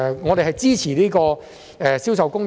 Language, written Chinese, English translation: Cantonese, 我們支持實施《銷售公約》。, We support the implementation of CISG